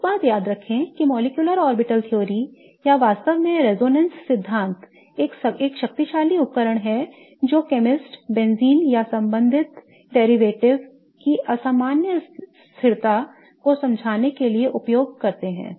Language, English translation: Hindi, One thing to remember is that the molecular orbital theory or really the resonance theory is a powerful tool which really chemists use to understand the unusual stability of benzene or the corresponding derivatives